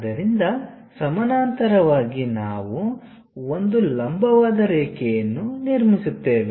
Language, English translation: Kannada, Similarly, parallel to this line we have to draw this one